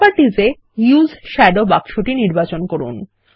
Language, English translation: Bengali, In Properties, check the Use Shadow box